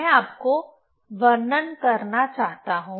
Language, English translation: Hindi, I want to describe you